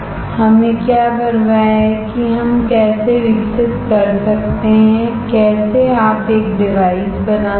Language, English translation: Hindi, What we care is how we can grow how you can fabricate a device